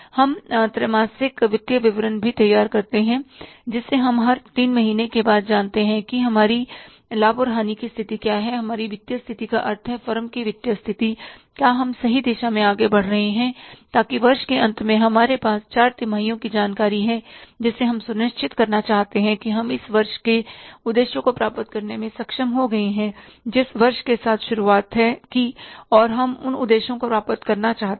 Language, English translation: Hindi, We know after every three months that what is our profit and loss situation, what is our financial position, means the financial position of the firm, are we moving in the right direction so that at the end of the year when we have the four quarters information we would like to establish that we have been able to achieve the objectives for this year, one year which we started with and we want to achieve those objectives